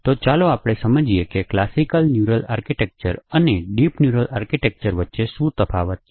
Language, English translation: Gujarati, So, let us understand what is the difference between a classical neural architecture and a deep neural architecture